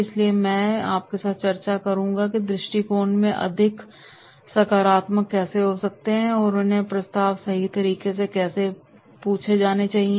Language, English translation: Hindi, So therefore I will discuss with you that how they can be more positive in approach and how they should be asked the proposals right